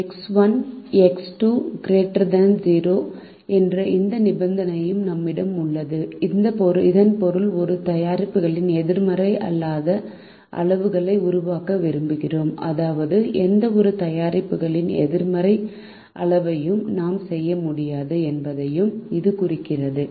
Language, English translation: Tamil, we also have this condition: x one and x two greater than or equal to zero, which means we would like to make non negative quantities of both the products, which also implies that we cannot make negative quantities of any of the products